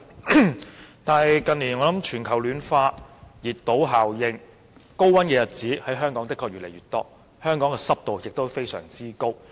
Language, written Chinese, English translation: Cantonese, 然而，鑒於近年全球暖化和熱島效應，香港高溫的日子越來越多，濕度也非常高。, However given the global warming and heat island effect in recent years the number of hot days in Hong Kong keeps increasing and the humidity is very high as well